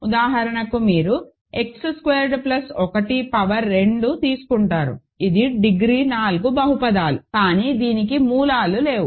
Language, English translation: Telugu, Right, because for example, you take X squared plus 1 power 2, this is a degree for polynomial, but it has no roots